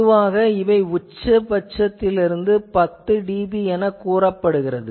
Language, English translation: Tamil, So, they are a defined as typically 10 dB from the maximum